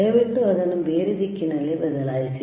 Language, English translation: Kannada, cChange it in a different direction please,